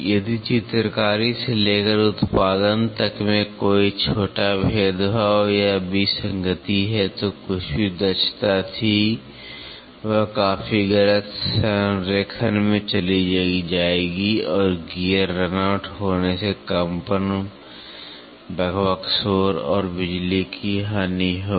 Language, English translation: Hindi, If there is any small discrimination or discrepancy from the drawing to manufacturing then, whatever was the efficiency will go down drastically misalignment and gear run out will result in vibration, chatter noise and loss of power